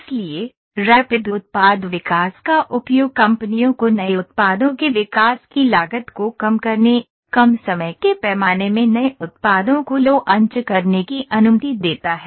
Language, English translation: Hindi, So, utilization of Rapid Product Development allows companies to launch new products into manufacture in short time scales, reducing the development cost for new products